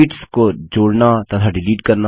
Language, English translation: Hindi, Inserting and Deleting sheets